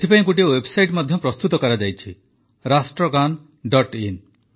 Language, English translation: Odia, For this, a website too has been created Rashtragan